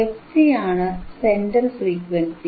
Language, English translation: Malayalam, So, what is this frequency fc